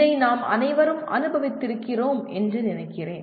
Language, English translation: Tamil, I think all of us have experienced this